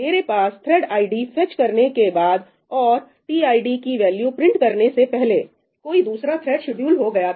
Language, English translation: Hindi, After I fetch the thread id and before I have printed the value of tid some other thread gets scheduled